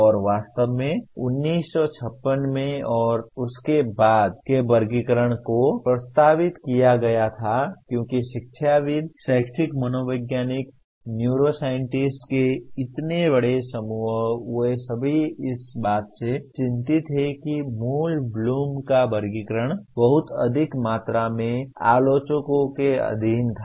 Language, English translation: Hindi, And actually the taxonomy was proposed in 1956 and since ‘56 because this such a large group of educationist, educational psychologist, neuroscientist they are all concerned with that the original Bloom’s taxonomy was subjected to tremendous amount of critic